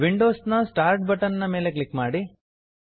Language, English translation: Kannada, Click on the Windows start button